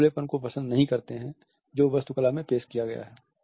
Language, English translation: Hindi, They do not like the openness which has been introduced in the architecture